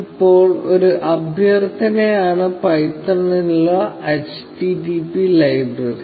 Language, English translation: Malayalam, Now, a request is http library for python